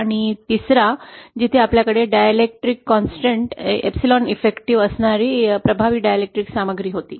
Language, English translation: Marathi, And the third where we had an effective dielectric material having the dielectric constant epsilon detective present